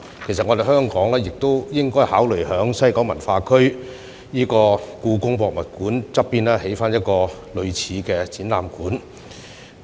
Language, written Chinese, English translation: Cantonese, 其實，香港亦應考慮在西九文化區香港故宮文化博物館旁邊興建一個類似的展覽館。, Hong Kong should indeed consider building a museum of this kind next to the Hong Kong Palace Museum in the West Kowloon Cultural District